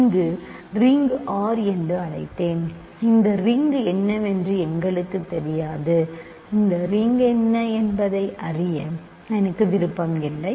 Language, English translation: Tamil, So, I let us call this ring R, we do not know what this ring is I am not interested in knowing what this ring is